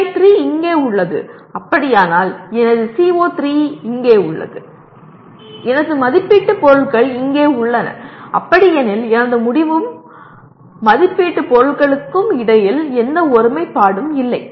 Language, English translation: Tamil, If it is so, my CO3 is here, my assessment items are here then obviously there is no alignment between my outcome and the assessment items